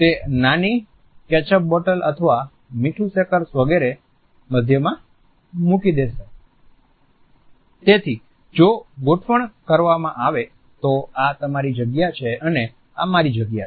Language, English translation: Gujarati, They would put small ketchup bottles or may be salt shakers etcetera in the middle so, that if it is in arrangement for the two this is your space and this is my space